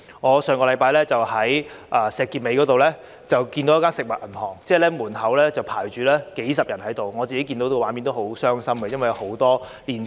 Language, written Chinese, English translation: Cantonese, 我上星期在石硤尾看到一間食物銀行的門口有幾十人在排隊，當中有不少年輕人和年輕家庭。, Last week I saw several dozens of people queuing at the entrance of a food bank in Shek Kip Mei . Quite a number of them were young persons and young families